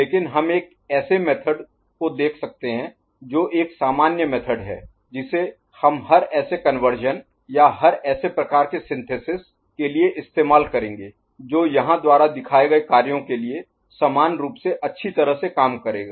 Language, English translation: Hindi, But, we can look at a method which is a generalized method, which we will work for every such conversion or every such synthesis kind of thing, which will work equally well for what we have shown here